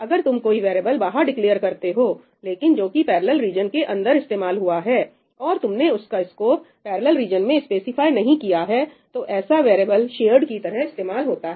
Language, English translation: Hindi, If you are using a variable which is declared outside, but used inside a parallel region and you have not specified the scope in the parallel region, then it is treated as shared